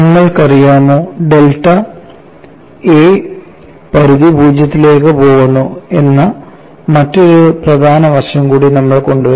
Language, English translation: Malayalam, And you know we will also have to bring in another important aspect that we want to take the limit delta tends to 0